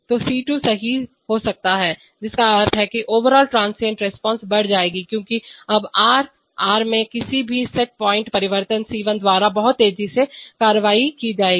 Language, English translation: Hindi, So C2 can right, now which means that overall transient response will increase because now r, any set point change in r will be acted upon much faster by C1